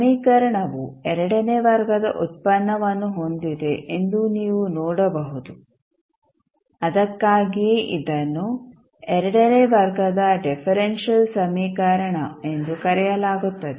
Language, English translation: Kannada, So, now if you see the equation as a second order derivative so that is why it is called as a second order differential equation